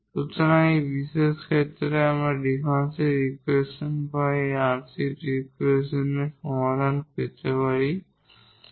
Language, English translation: Bengali, So, these two special cases we will consider here to get the solution of this differential equation or this partial differential equation here